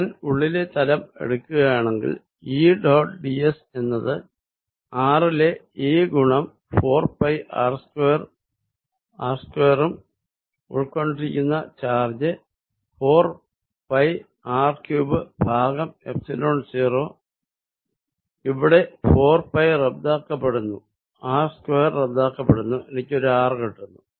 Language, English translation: Malayalam, So, if I take the inner surface E dot ds is going to be E at r times 4 pi r square and charge enclosed is 4 pi by 3 rho r cubed divided by Epsilon 0 here 4 pi cancels, this r square cancels and gives me a single r